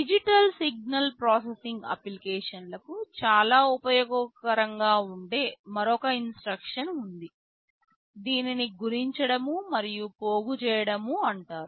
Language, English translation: Telugu, There is another instruction that is very much useful for digital signal processing applications, this is called multiply and accumulate